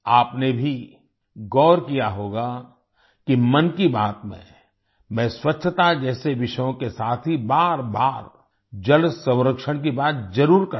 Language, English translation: Hindi, You must have also noticed that in 'Mann Ki Baat', I do talk about water conservation again and again along with topics like cleanliness